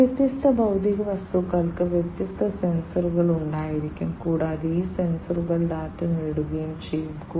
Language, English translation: Malayalam, So, these different physical objects will have different sensors, and these sensors will acquire the data